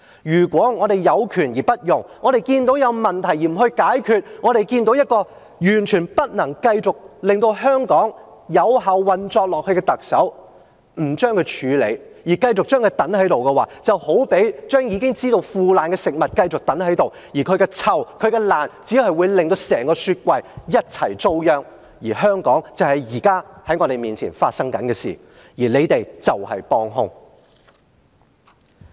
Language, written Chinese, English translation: Cantonese, 如果我們有權而不用，我們看到有問題而不解決，我們看到一個完全不能令香港繼續有效運作下去的特首仍然在位，不處理她，繼續讓她留下來的話，便好比將已經腐壞的食物繼續留下來，而它的腐爛發出的惡臭，只會令整個雪櫃一起糟殃，這就是現在我們看到香港的情況，而保皇黨就是幫兇。, We can see that the Chief Executive is still in power even though she can no longer function effectively . If we do not deal with her and let her stay in office it is tantamount to keeping some rotten food in the refrigerator the stench of the rotten food will ruin all the stuff in the fridge . This is what we see in Hong Kong now and the royalists are the accomplices